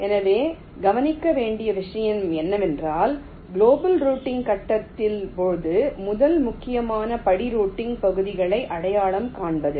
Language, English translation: Tamil, ok, so the point to note is that during the global routing phase the first important step is to identify the routing regions